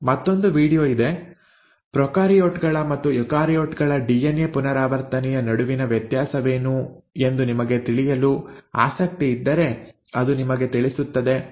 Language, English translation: Kannada, There is another video which also will tell you if you are interested to know, what is the difference between DNA replication in prokaryotes versus eukaryotes